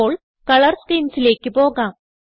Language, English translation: Malayalam, Now lets move on to Color schemes